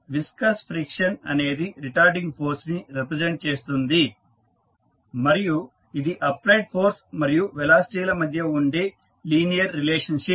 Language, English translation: Telugu, Viscous friction represents retarding force that is a linear relationship between the applied force and velocity